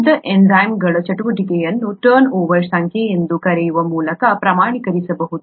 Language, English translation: Kannada, The activity of pure enzymes can be quantified by something called a turnover number